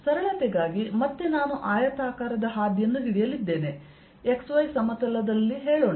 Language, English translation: Kannada, for simplicity again, i am going to take a rectangular path, let us say in the x y plane